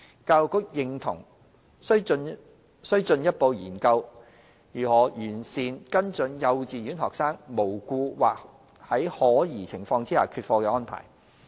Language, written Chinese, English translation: Cantonese, 教育局認同需進一步研究如何完善跟進幼稚園學生無故或在可疑情況下缺課的安排。, As for kindergartens the Education Bureau agrees to explore how the follow - up arrangements for student non - attendance cases without reason or with doubt should be further enhanced